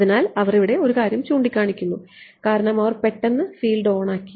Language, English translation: Malayalam, So, they make a point here that because, they turned on the field abruptly right